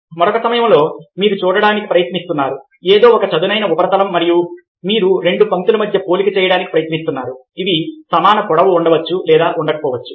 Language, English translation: Telugu, at another point time you are trying to see something as a flat surface and you are trying make comparison between two lines which may or may not be of equal length